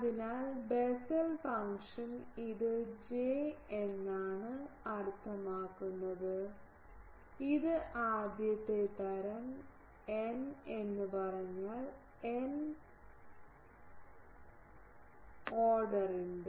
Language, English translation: Malayalam, So, Bessel function this is J means it is the first kind and n means of order n ok